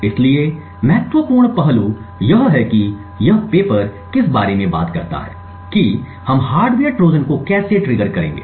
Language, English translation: Hindi, So, the critical aspect what this paper talks about is how would we make triggering the hardware Trojan difficult